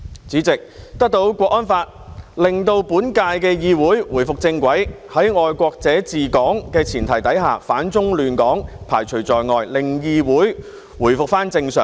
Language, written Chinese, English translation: Cantonese, 主席，《香港國安法》的實施，令本屆議會回復正軌，在"愛國者治港"的前提下，反中亂港被排除在外，令議會回復正常。, President with the implementation of the Hong Kong National Security Law the current - term Legislative Council has gone back to the right track . Under the premise of patriots administering Hong Kong elements opposing China and upsetting order in Hong Kong have been expelled . Consequently the Council has returned to normal